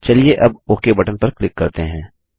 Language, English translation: Hindi, Let us click on the Ok button now